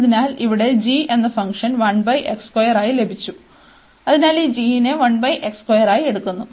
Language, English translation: Malayalam, So, we got the function here g as 1 over x square, so taking this g as 1 over x square